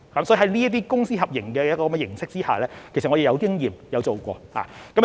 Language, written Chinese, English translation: Cantonese, 所以，在這些公私合營的形式下，其實我們是有經驗，亦曾經做過。, Therefore insofar as Public - Private Partnership approach is concerned actually we have the experience and we have adopted this approach before